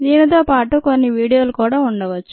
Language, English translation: Telugu, that could be some videos also along with this